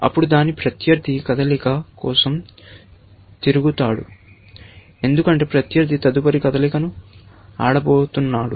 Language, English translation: Telugu, Then, its opponent turns to make the move, because opponent is going to play the next move